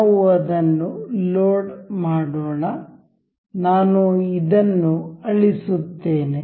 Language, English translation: Kannada, Let us just load it, I will delete this one